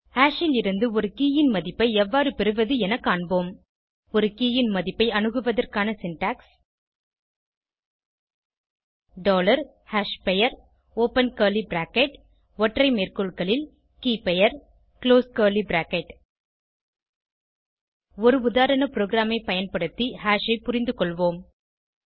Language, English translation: Tamil, The syntax for accessing the value of a key is dollar hashName open curly bracket single quote keyName single quote close curly bracket Let us understand hash using a sample program